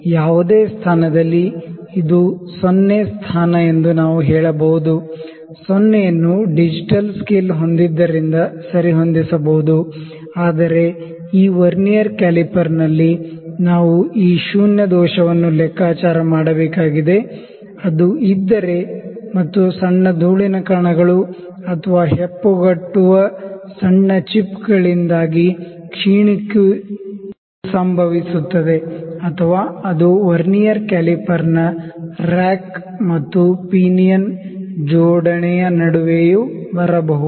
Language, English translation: Kannada, At any position we can say this is the 0 position, the 0 can be adjusted because that had digital scale, but in this Vernier caliper we need to calculate this zero error if it is there and the deterioration happens due to small dust particles or the tiny chips which can clot or which can come in between the rack and pinion arrangement of the Vernier caliper that can hinder it